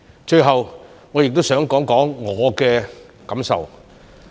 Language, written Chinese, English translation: Cantonese, 最後我亦想談談我的感受。, Lastly I would like to talk about my feelings